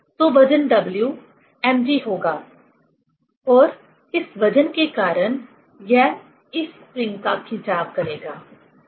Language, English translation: Hindi, So, the weight W will be mg and because of this weight it will extend this spring, right